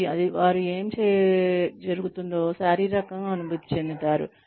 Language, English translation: Telugu, And, they physically feel, whatever is going on